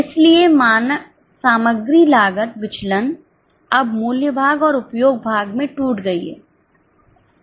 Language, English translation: Hindi, So, material crossed variance is now broken down into price part and usage part